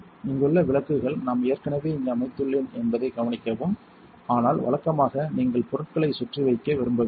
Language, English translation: Tamil, The lights over here, notice I have already set up here, but usually you do not want leave things laying around